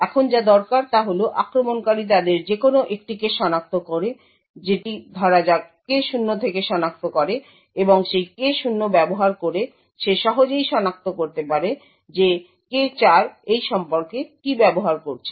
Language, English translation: Bengali, Now all that is required is the attacker identifies any one of them that is let us say he identifies K0 and using that K0 he can easily identify what K4 is using this relationship